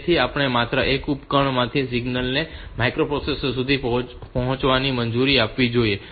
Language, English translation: Gujarati, So, we must allow the signal from only one device to reach the micro processor